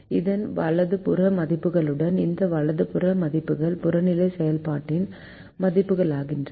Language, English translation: Tamil, now this objective function values became the right hand side values